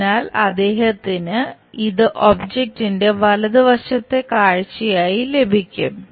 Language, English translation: Malayalam, So, first of all, he will get this one as the object for the right side view